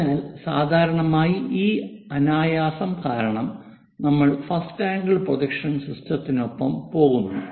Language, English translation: Malayalam, So, because of that easiness usually we go with first angle projection system